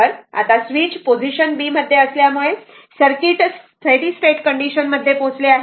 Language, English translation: Marathi, So, because switch is in position b and the circuit reached the steady state